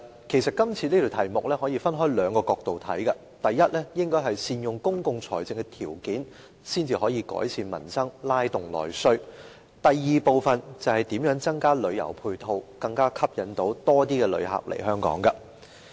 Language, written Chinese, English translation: Cantonese, 其實，這項議題可以從兩個角度來看，第一是善用公共財政條件，才能夠改善民生，拉動內需；第二是如何增加旅遊配套，吸引更多旅客來港。, As a matter of fact this issue can be viewed from two perspectives . Firstly public coffers must be effectively used to improve peoples livelihood and stimulate internal demand; secondly how ancillary tourist facilities can be increased to attract more tourists to Hong Kong